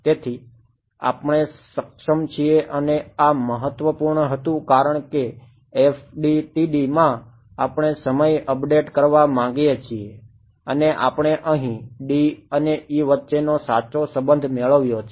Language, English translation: Gujarati, So, we are able to and this was important because in FDTD we want time update and we here we got the correct relation between D and E right